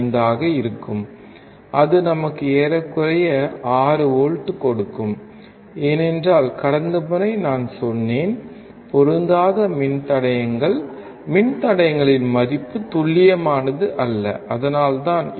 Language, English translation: Tamil, 5 so, it will give us approximately 6 volts, because I told you last time of the resistors mismatching the value of the resistors are not accurate, that is why